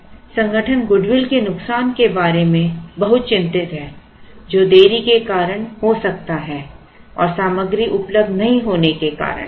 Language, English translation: Hindi, So, organizations are very concerned about the loss of goodwill that could happen because of delays and because of material not being available